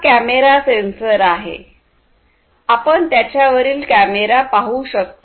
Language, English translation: Marathi, This is a camera sensor you can see the camera over here, Camera sensor